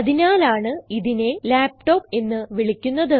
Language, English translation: Malayalam, Hence, it is called a laptop